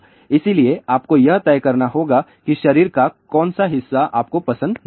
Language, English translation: Hindi, So, you have to decide which part of the body you do not like